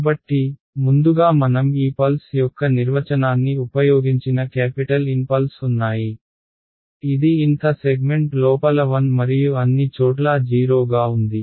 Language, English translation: Telugu, So, first of all there are capital N pulses that I have used the definition of this pulse is that it is 1 inside the nth segment and 0 everywhere else right